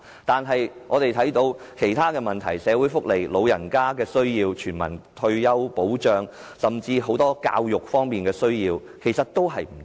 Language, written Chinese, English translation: Cantonese, 但是，我們眼見其他方面，例如社會福利、長者需要、全民退休保障，甚至教育等都有不足。, And yet we are aware that other areas including social welfare elderly care universal retirement protection and even education have not received sufficient funding